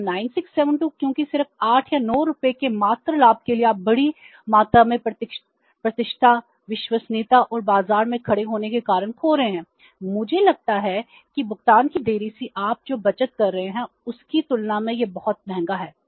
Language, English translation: Hindi, So, by say 9672 because just for a meager gain of 8 or 9 rupees we are losing say bigger amount of reputation, credibility and standing in the market I think which is much more expensive as compared to the saving you are making by delaying the payment which is just 8 or 9 rupees